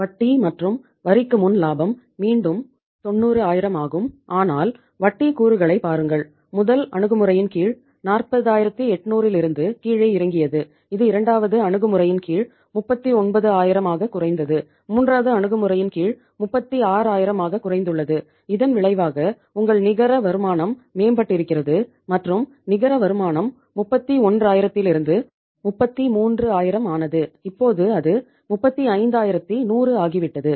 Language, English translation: Tamil, Profit before interest and tax is again 90000 but look at the interest component which has come down from the 40800 under the first approach which came down to 39000 under the second and it has come down to 36000 under the third approach and as a result of that your net income has improved and net income which was uh say you can say 31000 around it has it became 33000 and now it has become 35100